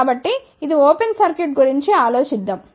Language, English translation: Telugu, So, let us just think about this is an open circuit